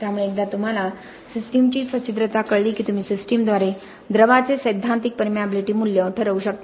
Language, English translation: Marathi, So once you know the porosity of the system you can sort of work out the theoretical permeability value of the fluid through the system